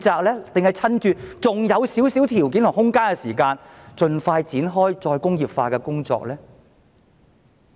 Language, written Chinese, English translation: Cantonese, 還是趁目前還有一點條件和空間，盡快展開再工業化的工作？, Should we launch the work of re - industrialization as soon as possible while conditions and room for development are still available?